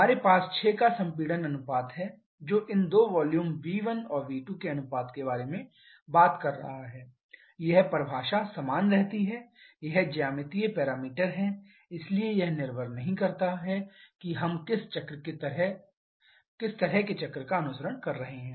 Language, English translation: Hindi, So, using this diagram let us summarize the given information’s we have a compression ratio of 6 which is talking about the ratio of these two volumes v1 and v2 this definition remains same this is geometric parameter so it does not depend on which kind of cycle we are following